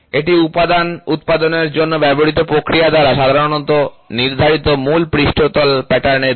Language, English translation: Bengali, It is the direction of the predominant surface pattern ordinarily determined by the production process used for manufacturing the component